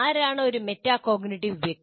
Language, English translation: Malayalam, So who is a metacognitive person